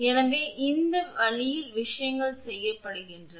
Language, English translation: Tamil, So, these way things are done